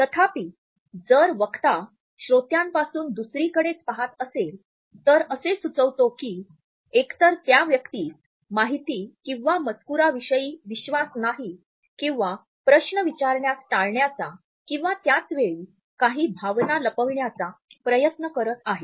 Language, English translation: Marathi, However, if the speaker looks away from the audience, it suggests that either the person does not have confidence in the content or wants to avoid further questioning or at the same time may try to hide certain feeling